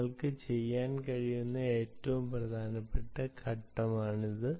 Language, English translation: Malayalam, this is a very important step that you can do